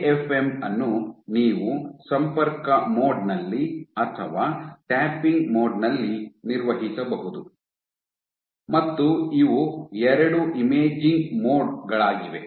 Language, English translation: Kannada, In AFM, you could operate it in contact mode or tapping mode these are two imaging modes